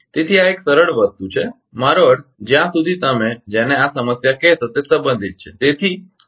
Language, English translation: Gujarati, So, this is a simple thing I mean as far as this what you call this problem is concerned